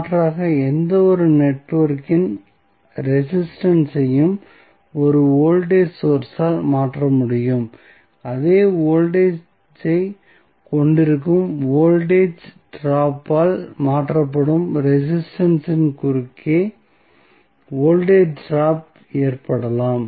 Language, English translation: Tamil, So, alternatively we can also say that the resistance of any network can be replaced by a voltage source having the same voltage as the voltage drop across the resistance which is replaced